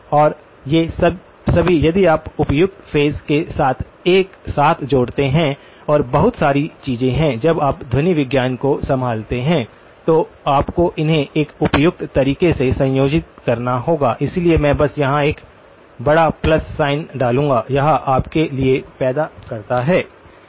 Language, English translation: Hindi, And all of these if you combine together with suitable phase and lots of the things are there in when you handle acoustics, you must combine them in a suitable fashion, so I will just put a big plus sign here, this produces for you